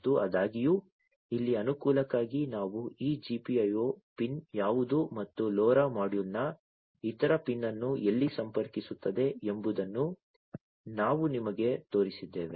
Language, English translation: Kannada, And however, for convenience over here we have shown you that what is this GPIO pin and where to which other pin of the LoRa module it connects, right